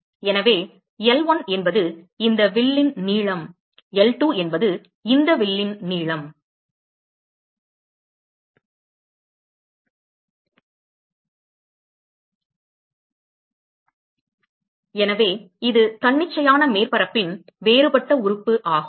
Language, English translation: Tamil, So, L1 is essentially the length of this arc L2 is the length of the this arc right, so this is a differential element of arbitrary surface